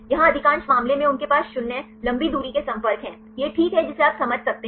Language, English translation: Hindi, Here most of the case they have zero long range contacts, that is fine right you can understand